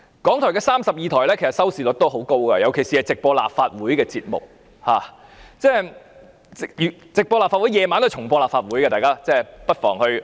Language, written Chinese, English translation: Cantonese, 港台32台的收視率很高，尤其是直播立法會節目，晚上該台也會重播立法會的會議，大家不妨看看。, The viewership of Channel 32 of RTHK is large particularly programmes on live broadcast of meetings of the Legislative Council . The Channel will also broadcast recorded meetings of Legislative Council in the evening . Members may tune into it